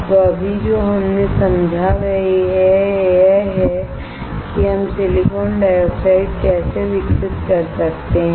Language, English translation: Hindi, So, right now what we understood is how we can grow silicon dioxide